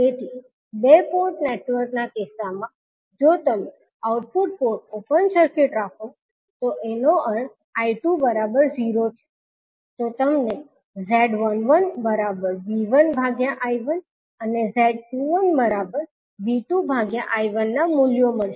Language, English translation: Gujarati, So, in case of 2 port network if you keep output port open circuit means V2 is equal to 0, then you will get the value of Z11 as V1 upon I1 and Z21 is V2 upon I1